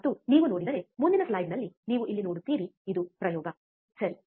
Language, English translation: Kannada, And if you see, in the next slide you see here this is the experiment, right